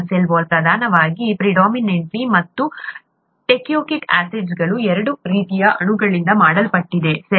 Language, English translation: Kannada, As a cell wall is predominantly made up of two kinds of molecules called ‘peptidoglycan’ and ‘teichoic acids’, okay